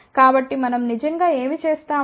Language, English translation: Telugu, So, what we do actually